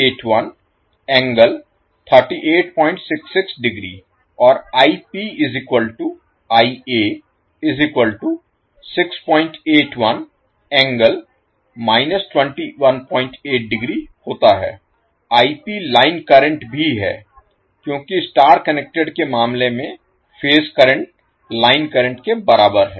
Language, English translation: Hindi, 66 degree and Ip is given that is line current also because in case of star connected phase current is equal to line current